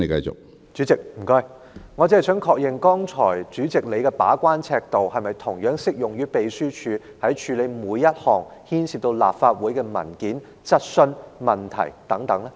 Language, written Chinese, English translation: Cantonese, 主席，我只想確認，主席剛才的把關尺度是否同樣適用於秘書處處理每一項牽涉到立法會的文件、質詢、問題等？, President I just wish to seek confirmation does Presidents yardstick for gatekeeping just now apply in the same manner to the Secretariats handling of every paper question issue and so on involving the Legislative Council?